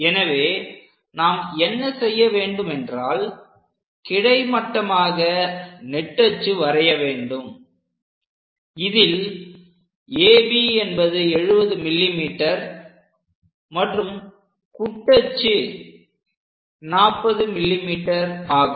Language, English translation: Tamil, Further purpose what we have to do is draw a horizontal line, which we call major axis, in this case, AB 70 mm and minor axis with 40 mm